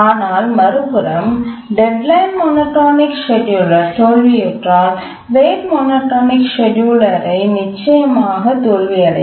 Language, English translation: Tamil, But on the other hand, whenever the deadline monotonic scheduler fails, the rate monotonic scheduler will definitely fail